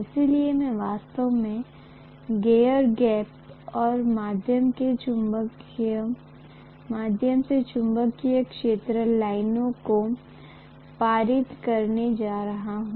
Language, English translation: Hindi, So I am going to have to actually pass the magnetic field lines through the air gap